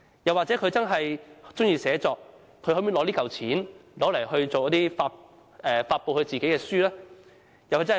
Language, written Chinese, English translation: Cantonese, 又或他真的喜歡寫作，他便可用這筆錢來發表自己的書籍。, If a young man really loves writing he may use the sum to publish his own books